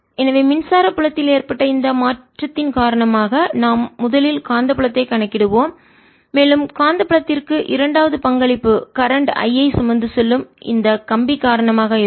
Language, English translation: Tamil, so we will first calculate the magnetic field due to this change in electric field and the second contribution to the magnetic field will be due to this wire which is carrying current i